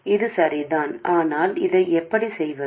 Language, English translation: Tamil, This is correct but how do we do this